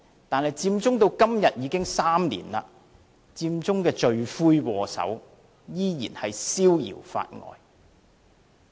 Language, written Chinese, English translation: Cantonese, 但是，佔中至今已有3年，佔中的罪魁禍首，依然逍遙法外。, However three years have passed since Occupy Central the culprits are still at large